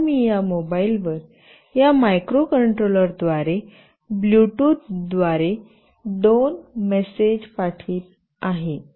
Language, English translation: Marathi, Now, I will send two messages through Bluetooth from this microcontroller to this mobile